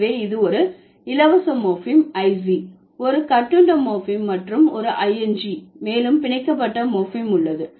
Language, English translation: Tamil, So, this is a free morphem, is a bound morphem and ING is also bound morphem